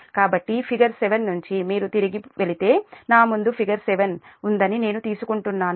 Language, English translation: Telugu, if you go back, then i think i have figure seven in front of me